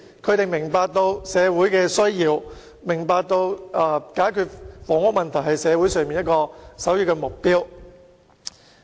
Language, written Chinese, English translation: Cantonese, 他們明白社會的需要，也明白解決房屋問題是社會的首要目標。, They understand societys needs and the first priority in resolving the housing problem